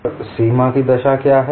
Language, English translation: Hindi, And what are the boundary conditions